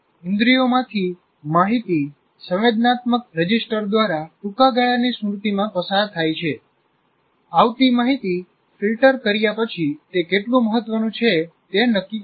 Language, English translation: Gujarati, So, information from the census passes through the sensory register to short term memory after the incoming information is filtered to determine how important it is